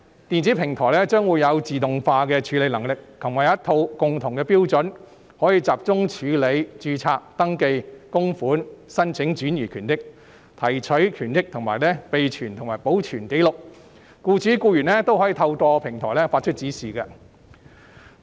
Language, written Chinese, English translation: Cantonese, 電子平台將會有自動化的處理能力及一套共同標準，可以集中處理註冊、登記、供款、申請轉移權益、提取權益，以及備存和保存紀錄，僱主和僱員都可以透過平台發出指示。, Given its automated processing capability with one set of common standards this electronic platform can handle registration enrolment contribution transfer and withdrawal of benefits as well as record maintenance in a centralized manner . Both employers and employees will then be able to issue instructions through this platform